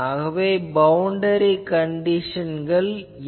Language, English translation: Tamil, So, boundary condition will be n